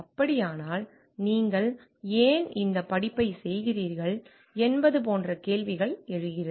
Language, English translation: Tamil, So, like questions like why you are doing this study